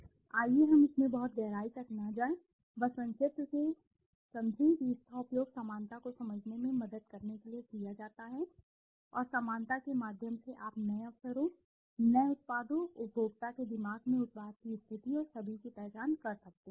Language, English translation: Hindi, Let us not get too much deep into it, just understand from the brief it is used to helpful to understand the similarity and through the similarity you can identify new opportunities, new products, the positioning of the product in the minds of the consumer and all these things